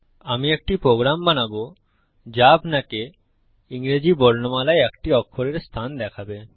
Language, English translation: Bengali, I will create a program that lets you see the position of a letter in the English alphabet